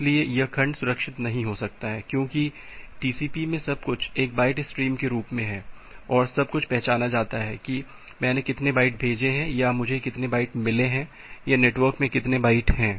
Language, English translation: Hindi, So, this segments may not preserve, because in TCP everything is in the form of a byte stream, and everything is identified by how many bytes I have sent or how many bytes I have received or how many bytes are in transition in the network